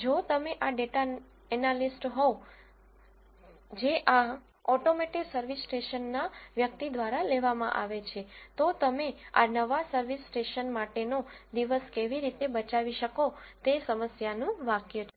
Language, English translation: Gujarati, If you are the data analyst which is hired by this automotive service station person, how can you save the day for this new service station is the problem statement